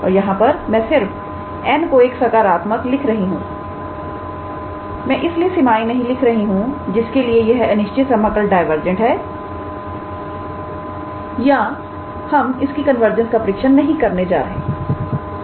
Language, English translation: Hindi, And here I am just writing n is positive I am not writing the range for which n is this improper integral is convergent or not we will test its convergence now